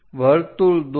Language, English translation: Gujarati, Draw a circle